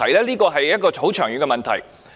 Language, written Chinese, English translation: Cantonese, 這是一個很長遠的問題。, This is a very long - term issue